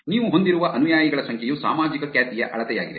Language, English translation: Kannada, number of followers that you have is a measure of social reputation